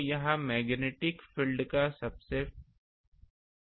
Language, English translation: Hindi, So, this is the far field of magnetic field